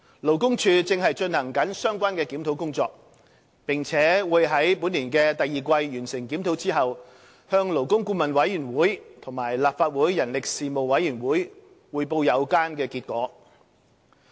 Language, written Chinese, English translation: Cantonese, 勞工處正進行相關檢討工作，並會在本年第二季完成檢討後向勞工顧問委員會及立法會人力事務委員會匯報有關結果。, LD is working on a relevant review and will report the outcome of the review to the Labour Advisory Board and the Legislative Council Panel on Manpower upon completion of the review in the second quarter of this year